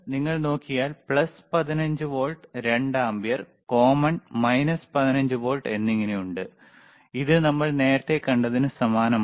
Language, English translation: Malayalam, iIf you see, there is plus 15 volts, 2 ampere, common, minus 15 volts, 2 ampere, which is similar to what we haved seen earlier